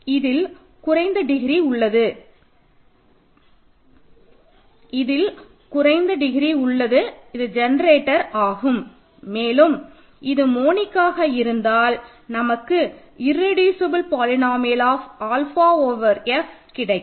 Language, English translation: Tamil, The least degree one among them is the generator and further insist on monic you get the irreducible polynomial of alpha over F